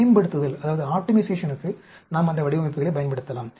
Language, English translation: Tamil, We can use those designs for optimization